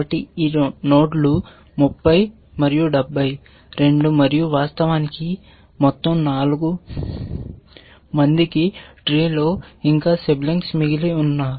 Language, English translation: Telugu, So, both these nodes 30 and 70 and in fact, all 4 have a sibling still left in the tree